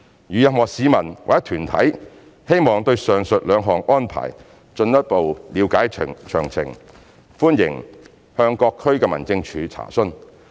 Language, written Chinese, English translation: Cantonese, 如任何市民或團體希望對上述兩項安排進一步了解詳情，歡迎向各區民政處查詢。, If members of the public or organizations would like to know more about the details of the two arrangements mentioned above they are welcome to contact DOs for enquiries